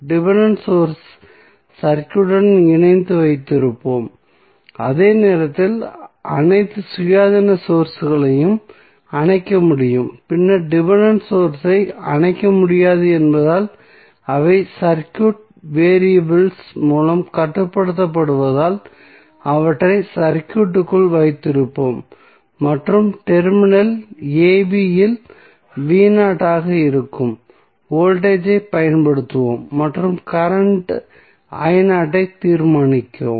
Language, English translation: Tamil, That in case the network has dependent sources we cannot turn off the dependent source because it is depending upon some circuit variable so we will keep dependent source connected with the circuit while we can turn off all the independent sources only and then since the dependent source cannot be turned off because they are control by the circuit variables we will keep them in the circuit and we will apply voltage that is V naught at the terminal a, b and determine the current I naught